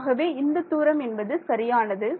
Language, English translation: Tamil, So, how much is this distance equal to